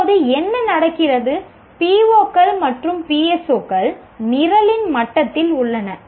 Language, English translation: Tamil, Now what happens is the POS and PS 4s are at the level of the program